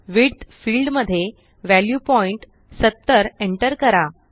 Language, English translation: Marathi, In the Width field, enter the value point .70